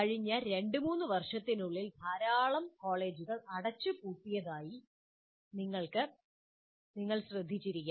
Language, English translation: Malayalam, As you would have noticed that in the last two, three years, large number of colleges got already closed